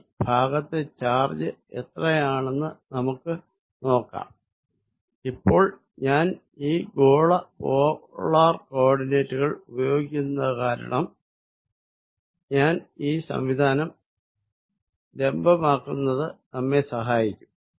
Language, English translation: Malayalam, Let us now take how much is the charge in this region, now since I am going to use this spherical polar coordinates it will be useful if I make this arrangement in the vertical direction, this is the centre of the two spheres